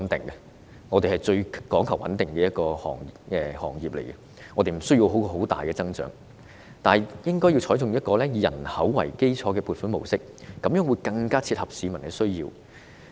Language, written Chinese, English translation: Cantonese, 醫護界是最講求穩定的一個行業，無需很大的增長，但應該採取以人口為基礎的撥款模式，這樣做更能切合市民需要。, It does not require substantial increase but the mode of funding must be population - based so as to better meet the needs of the public